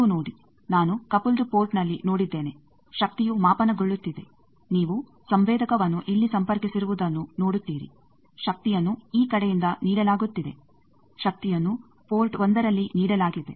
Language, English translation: Kannada, You see, I have seen in the coupled port power is getting measured you see the sensor is connected here power is being fed from this side; power is given at port 1